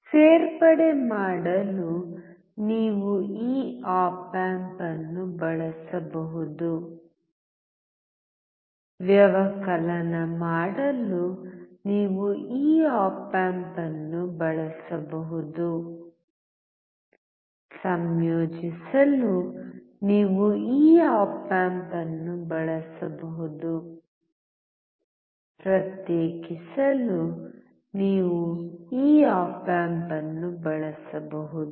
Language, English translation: Kannada, You can use this op amp to do addition; you can use this op amp to do subtraction; you can use this op amp to integrate; you can use this op amp to differentiate